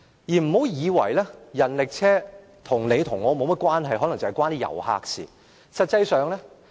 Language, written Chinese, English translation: Cantonese, 不要以為人力車與你跟我沒有甚麼關係，可能只與遊客有關。, One of the issues involved is rickshaws . Do not assume that rickshaws have nothing to do with you and me and are only concerned with tourists